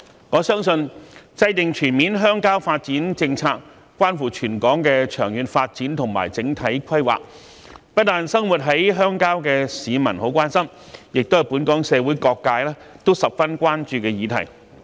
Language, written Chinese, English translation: Cantonese, 我相信，制訂全面鄉郊發展政策關乎全港的長遠發展和整體規劃，不單是生活在鄉郊的市民很關心，也是本港社會各界十分關注的議題。, I believe that formulating a comprehensive rural development policy is something that affects the long - term development and overall planning of Hong Kong . Not only people living in the rural areas but also all sectors of society are very concerned about this subject